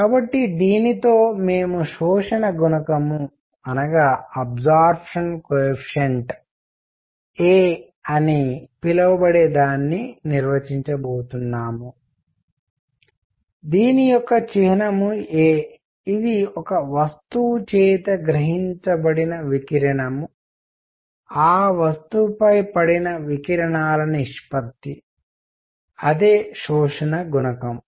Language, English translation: Telugu, So with this, we are going to define something called the absorption coefficient which is a; symbol is a, which is radiation absorbed by a body divided by radiation incident on it; that is the absorption coefficient